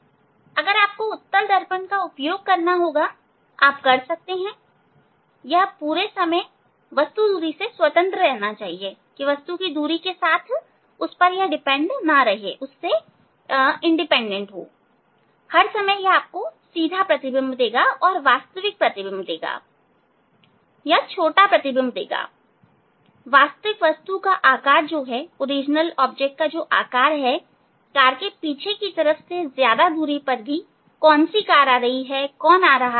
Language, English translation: Hindi, you have to use, you have to use the convex mirror, you have to use the convex mirrors, you can, so all the time it will, it is independent of the distance of the object, all the time it will give you erect image, and smaller image than the actual image, actual object size, backside of the, backside of the car up to long distance behind the car you can see which car is coming, which who are coming, etcetera, etcetera